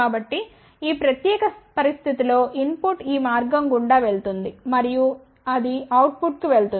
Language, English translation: Telugu, So, in that particular situation input will go through this path and it will go to the output